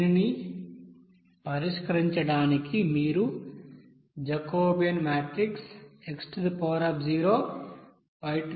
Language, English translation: Telugu, And then, to solve this you have to consider that Jacobian matrix x into y